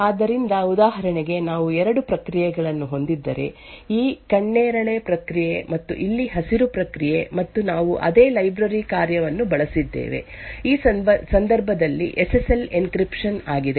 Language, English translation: Kannada, So, for example if we have two processes, this purple process and the green process over here and we used the same library function, which in this case is SSL encryption